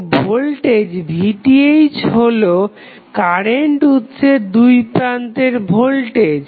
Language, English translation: Bengali, So, voltage Vth would be across the current source